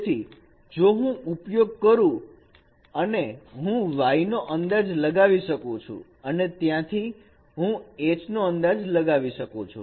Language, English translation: Gujarati, So if I use Y prime and Y, I can estimate G and from there I can estimate H